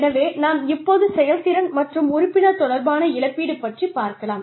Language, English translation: Tamil, So, when we talk about, performance versus membership related compensation